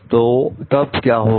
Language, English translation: Hindi, So, then what happens